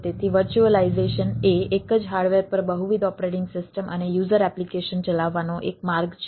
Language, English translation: Gujarati, so virtualization is a way to run multiple operating system and ah user application on the same hardware